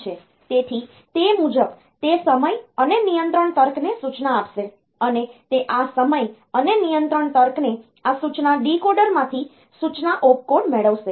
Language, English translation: Gujarati, So, accordingly it will instruct the timing and control logic, and it will that is this timing and control logic will get the instruction opcode from this from this instruction decoder